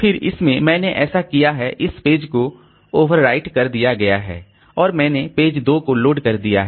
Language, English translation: Hindi, Then in this I have, so this page has been overwritten and I have loaded the page 2